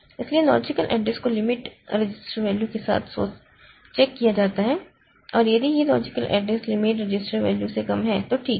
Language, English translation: Hindi, So, logical address is checked with the limit register value and if this, if the logical address is less than the limit register value then it is fine